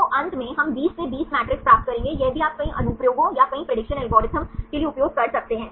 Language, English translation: Hindi, So, finally, we will get the 20 by 20 matrix this also you can use for several applications or several prediction algorithms